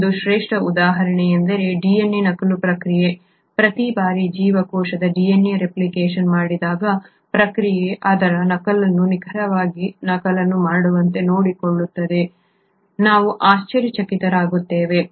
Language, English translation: Kannada, A classic example is the process of DNA replication; we will be astonished to know that every time a cellÕs DNA duplicates, the process will see to it that it duplicates its copy exactly